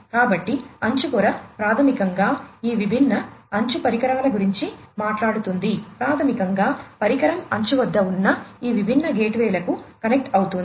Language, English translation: Telugu, So, edge layer basically talks about all these different edge devices, basically the device is connecting to these different gateways at the edge and so on